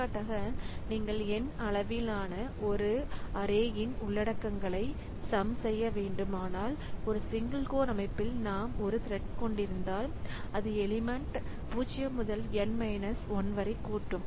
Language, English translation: Tamil, For example, if you have to sum the contents of an array of size n, then on a single code system we can have one thread to add to that would sum the element 0 to n minus 1